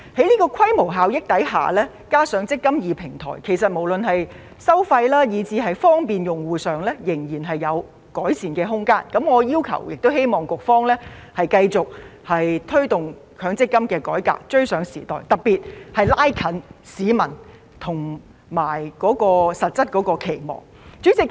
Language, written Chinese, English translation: Cantonese, 在規模效益下，加上"積金易"平台，其實無論在收費以至方便用戶方面，仍有改善的空間，我要求並希望局方繼續推動強積金改革，追上時代，特別是拉近與市民實質期望的距離。, Given the economies of scale and the eMPF Platform there is still room for improvement in terms of fees and user facilitation . I request and hope that the Bureau will continue to push forward MPF reform to keep abreast of the times and in particular narrow the gap with the actual expectation of the public